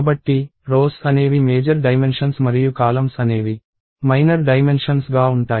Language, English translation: Telugu, So, the rows are the major dimensions and columns are the minor dimensions